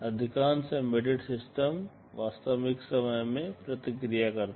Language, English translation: Hindi, Most embedded systems respond in real time